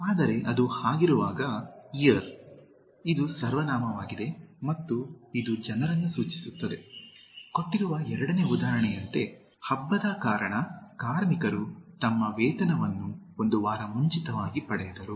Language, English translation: Kannada, But when it is eir, is a pronoun and it refers to people, as in the second example given: Due to the festival, the workers got their pay one week in advance